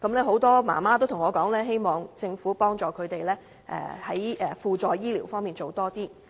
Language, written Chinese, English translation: Cantonese, 很多媽媽告訴我，希望政府幫助她們在輔助醫療服務方面多做一些。, Many parents relayed to me their wish that the Government can put in more effort in para - medical service